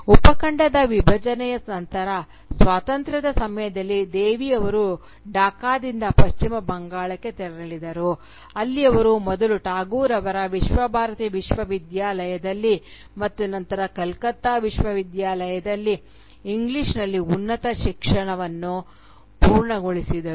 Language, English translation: Kannada, After the partition of the subcontinent, during the independence, Devi moved from Dhaka to West Bengal, where she completed her tertiary education in English, first in Tagore’s Viswa Bharati University, and then in the University of Calcutta